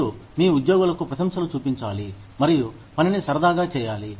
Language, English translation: Telugu, You need to show, appreciation to your employees, and make work, fun